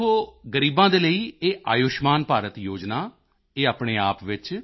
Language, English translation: Punjabi, See this Ayushman Bharat scheme for the poor in itself…